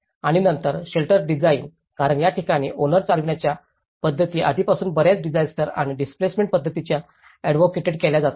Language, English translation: Marathi, And then shelter design, because this is where the owner driven practices are already advocated in many disaster and displacement practices